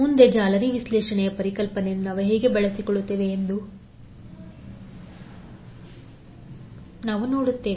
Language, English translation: Kannada, Next we see how we will utilize the concept of mesh analysis